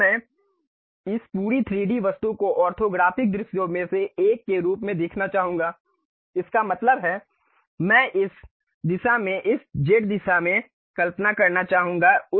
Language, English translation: Hindi, Now, I would like to visualize this entire 3D object as one of the orthographic view; that means, I would like to visualize in this direction, in this z direction